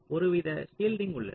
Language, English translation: Tamil, shielding says that